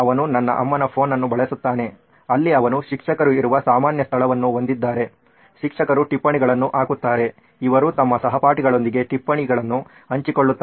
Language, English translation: Kannada, He uses my mom’s phone where they have a common place where teachers come, put up their notes, they share notes with their classmates